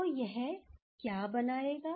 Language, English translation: Hindi, So, what it will form